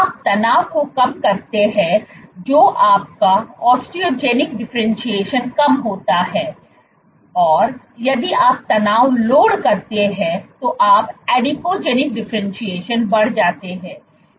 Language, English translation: Hindi, Lower the tension, if you lower the tension your osteogenic differentiation drops, if you load the tension then you are Adipogenic differentiation increases